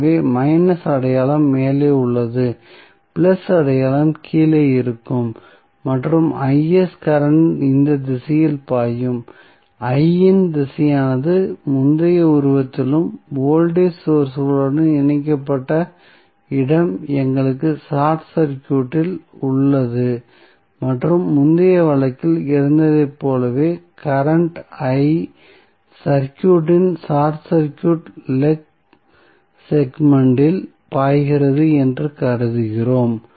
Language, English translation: Tamil, So, the minus sign is on the top, plus sign would be on the bottom and Is current would be flowing in this direction which is same as the direction of I was in the previous figure and the location where the voltage source was connected we have short circuited and we assume that the current I which is same as it was in the previous case is flowing in the short circuit leg segment of the circuit